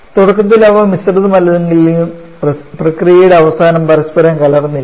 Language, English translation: Malayalam, Initially they are unmixed but at the end of the process there mixed with each other